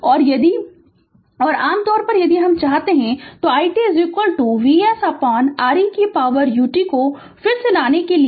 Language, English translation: Hindi, So, and if you and in generally if you want, then i t is equal to V s upon R e to the power U t again right